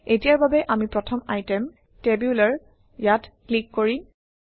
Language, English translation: Assamese, For now, we will click on the first item, Tabular